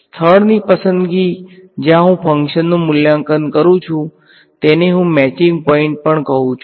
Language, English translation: Gujarati, The choice of the place where I evaluate the function I also call it a matching point